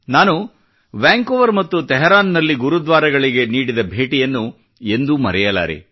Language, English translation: Kannada, I can never forget my visits to Gurudwaras in Vancouver and Tehran